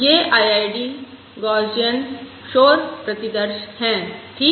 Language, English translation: Hindi, These are IID Gaussian noise samples, all right